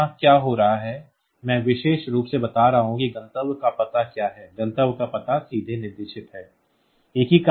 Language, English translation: Hindi, So, here what is happening is I am telling specifically that what is the destination address; destination address is specified directly